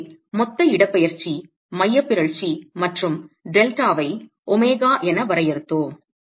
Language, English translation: Tamil, So, we define the total displacement eccentricity plus delta as omega